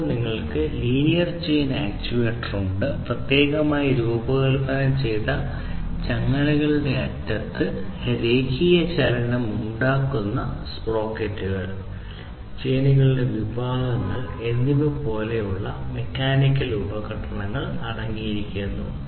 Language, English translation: Malayalam, Then you have the linear chain actuator, which basically consists of devices, mechanical devices such as sprockets and sections of chains which produce linear motion by the free ends of the specially designed chains